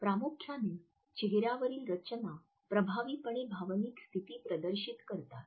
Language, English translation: Marathi, And they are primarily facial configurations which display effective states